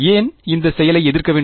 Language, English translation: Tamil, Why does have to counter act